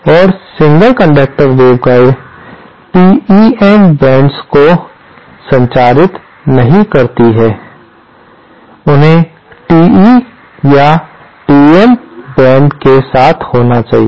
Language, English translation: Hindi, And single conductor waveguides cannot transmit TEM mode, they have to classmate to either TE or TM mode